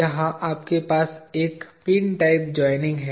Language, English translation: Hindi, Here you have a pin type of joining